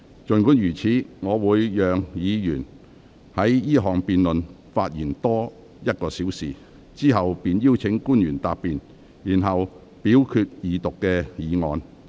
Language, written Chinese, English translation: Cantonese, 儘管如此，我會讓議員就二讀辯論發言多1小時，之後便會邀請官員答辯，然後表決二讀議案。, Notwithstanding this I will allow Members to speak on the Second Reading debate for another hour . After that I will call on government official to reply and then put to vote the motion on the Second Reading of the Bill